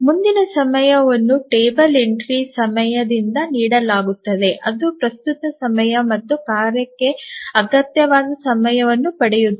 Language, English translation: Kannada, So, the next time is given by the table entry time that get time when the current time plus the time that is required by the task